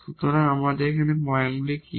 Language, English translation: Bengali, So, what are our points here